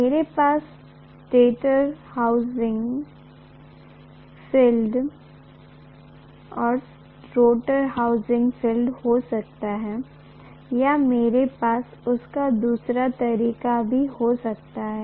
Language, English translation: Hindi, I can have the stator housing the field and rotor housing the armature or I can have it the other way round also